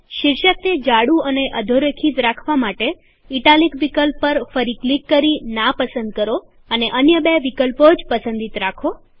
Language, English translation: Gujarati, In order to keep the heading bold and underlined, deselect the italic option by clicking on it again and keep the other two options selected